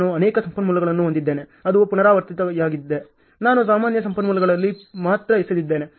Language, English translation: Kannada, I have so many resources which are repeating I have only dumped in the common resources ok